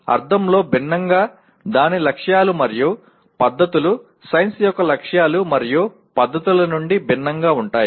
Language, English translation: Telugu, Different in the sense its goals and its methods are different from the goals and methods of science